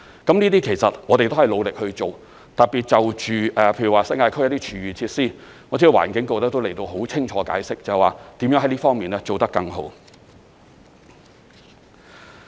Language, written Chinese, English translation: Cantonese, 這些其實我們都是努力去做，特別就着例如新界區一些廚餘設施，我知道環境局已很清楚地解釋如何在這方面做得更好。, Actually we will try our very best in taking forward these tasks especially the food waste recovery facilities in the New Territories . I know that the Environment Bureau has already explained in detail how they will do a better job in this regard